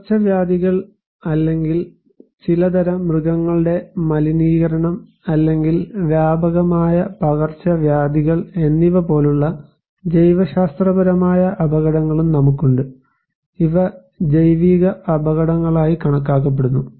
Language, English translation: Malayalam, We have also biological hazards like, outbreaks of epidemics or some kind of animal contaminations or extensive infestations, these are considered to be biological hazards